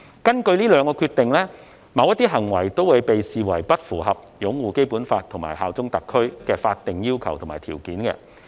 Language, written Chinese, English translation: Cantonese, 根據這兩項決定，某些行為會被視為不符合擁護《基本法》和效忠特區的法定要求及條件。, Under these two Decisions certain acts are regarded as not fulfilling the legal requirements and conditions on upholding the Basic Law and bearing allegiance to HKSAR